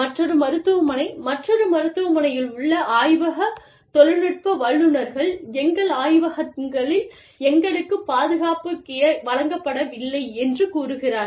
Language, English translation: Tamil, And, another hospital says, the lab technicians, in another hospital say, we are not being given, protective gear, in our labs